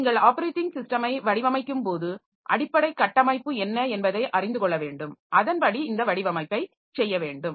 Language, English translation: Tamil, So, when you are designing the operating system so we have to know what is the underlying architecture and accordingly we have to do this design